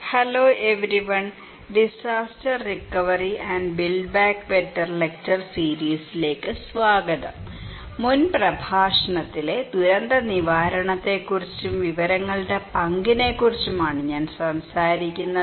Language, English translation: Malayalam, Hello everyone, welcome to the lecture series on disaster recovery and build back better, I was talking about disaster preparedness and recovery and role of informations in previous lecture